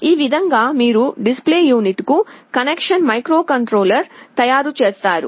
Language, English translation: Telugu, This is how you make the connection microcontroller to the display unit